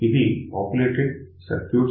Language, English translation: Telugu, So, this is the populated circuits